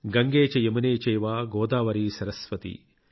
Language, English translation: Telugu, Gange cha yamune chaiva Godavari saraswati